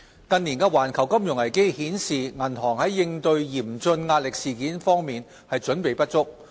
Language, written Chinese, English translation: Cantonese, 近年的環球金融危機顯示，銀行在應對嚴峻壓力事件方面準備不足。, The global financial crises in recent years have pointed to the inadequacy of financial institutions in preparing for severe stress events